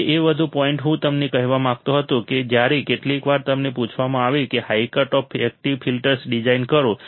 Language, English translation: Gujarati, Now one more point I wanted to tell you is that when some sometimes you are asked that design high cutoff active filters